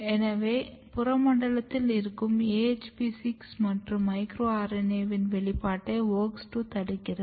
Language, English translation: Tamil, So, basically WOX2 is restricting expression of AHP6 and micro RNA in the peripheral domain